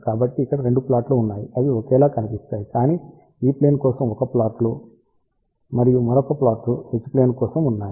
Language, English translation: Telugu, So, here there are 2 plots are there they look kind of identical, but there is a 1 plot for E Plane and another plot is for H Plane